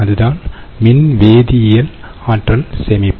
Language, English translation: Tamil, so thats the electrochemical energy storage